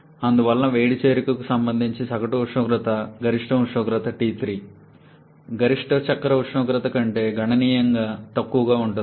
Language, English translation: Telugu, And therefore, the average temperature corresponding to heat addition is significantly lesser than the maximum temperature T3, maximum cycle temperature